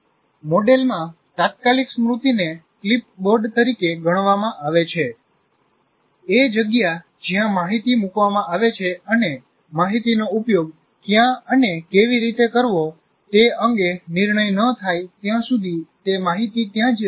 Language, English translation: Gujarati, Okay, immediate memory in the model may be treated as a clipboard, a place where information is put briefly until a decision is made, how to dispose it off